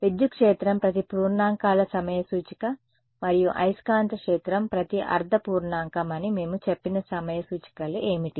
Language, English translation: Telugu, What are the time indices we had said that electric field is every integer time index and magnetic field every half integer right